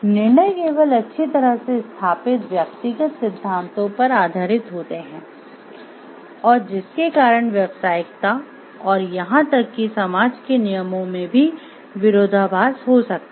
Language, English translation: Hindi, Decisions are based only on well established personal principles and may contradict professional course and even society rules